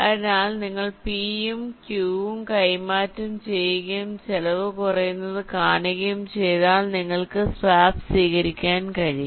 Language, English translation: Malayalam, so if you exchange p and q and see that the cost is decreasing, then you can just accept the swap